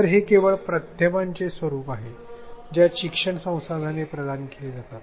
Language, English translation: Marathi, So, this is just the medium the format in which the resources provided